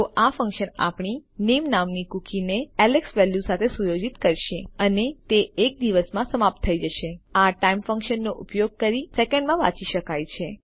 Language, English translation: Gujarati, So this function will set our cookie called name with a value of Alex and it will expire in a day read in seconds using the time function here